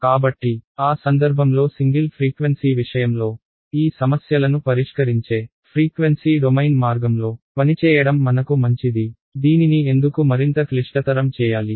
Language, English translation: Telugu, So in that case so single frequency case, it is better for me to work with a frequency domain way of solving these problems; why make life more complicated